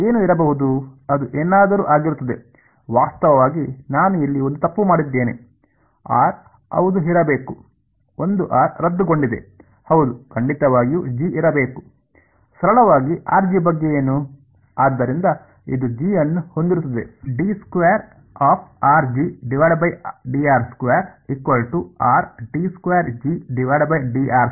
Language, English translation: Kannada, What might that something be, actually I made one mistake here there should be r yeah that one r got cancelled of yeah definitely a G has to be there